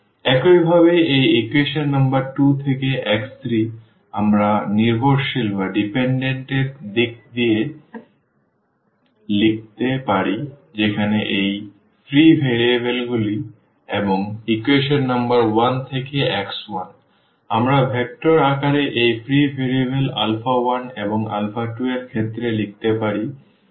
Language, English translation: Bengali, Similarly, the x 3 from this equation number 2 we can write down in terms of this the dependent where these free variables and also the x 1 from equation number 1, we can write down in terms of these free variables alpha 1 and alpha 2 in the vector form we can place them